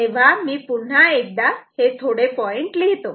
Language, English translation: Marathi, So, once again let me write few more points